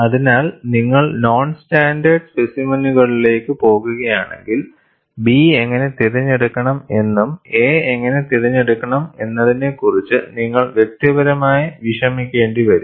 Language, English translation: Malayalam, So, if you go for non standard specimens, then, you will have to individually worry for how B should be selected and how a should be selected